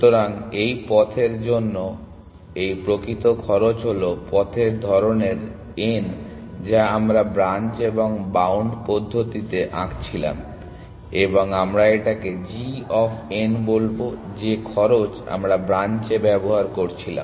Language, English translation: Bengali, So, this actual cost for this path is to n the kind of path that we were drawing in branch and bound we will call g of n the cost that we were using in branch